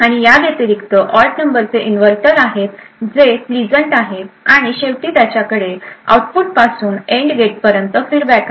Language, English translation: Marathi, And besides these there are odd number of inverters that are pleasant and finally it has a feedback from the output to the AND gate